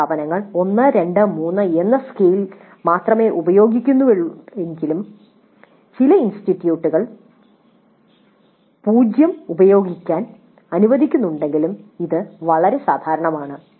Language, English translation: Malayalam, So this is much more common though some institutes do use a scale of only 1 to 3 and some institutes do permit 0 also to be used but 1 to 5 is most common and 0 to 5 is also common